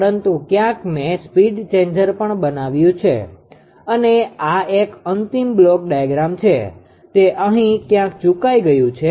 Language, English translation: Gujarati, But somewhere I made a speed changer also and this one is a final ah final block diagram; somehow it has been missed somewhere here right